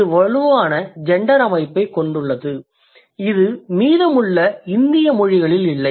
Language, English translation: Tamil, This has a strong or robust gender system which the rest of the Indian languages do not have